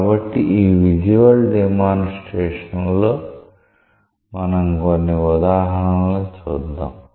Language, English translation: Telugu, So, in these visual demonstrations, we will see some example